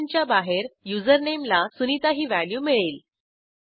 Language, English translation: Marathi, Outside the function, username takes the value sunita